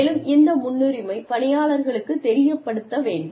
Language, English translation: Tamil, And, this priority, should be made known, to the employee